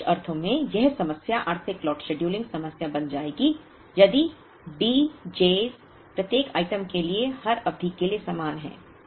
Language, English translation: Hindi, Now, this problem in some sense will become the Economic Lot scheduling problem if the D j’s are the same for every period for each item right